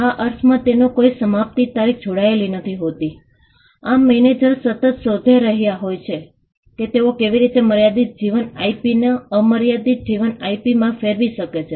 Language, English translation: Gujarati, In the sense that there is no expiry date attached too so, managers are constantly looking at how they can convert a limited life IP into an unlimited life IP